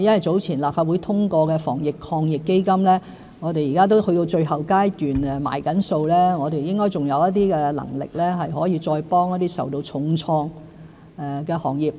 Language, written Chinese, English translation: Cantonese, 早前立法會通過的防疫抗疫基金已經去到最後階段，正在結算中，我們應該還有能力可以再幫助一些受到重創的行業。, The Anti - epidemic Fund approved by the Legislative Council earlier has reached the final stage and statements of its accounts are being prepared . We should have capacity to provide further assistance to some of the hard - hit industries